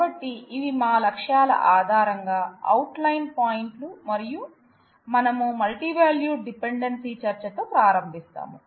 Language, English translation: Telugu, So, these are the outline points, based on our objectives and we start with the discussion of multivalued dependency